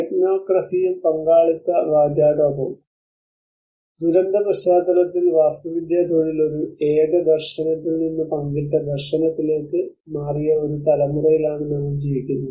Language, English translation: Malayalam, Technocracy and participatory rhetoric; We are living in a generation where the architecture profession in the disaster context has moved from a singular vision to a shared vision